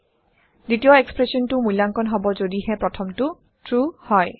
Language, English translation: Assamese, Second expression is evaluated only if the first is true